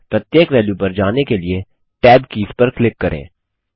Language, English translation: Hindi, Let us click on the tab keys to go through each value